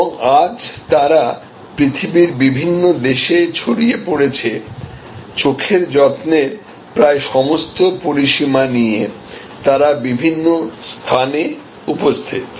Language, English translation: Bengali, And today they are spread over many countries, over many locations covering almost the entire range of eye care services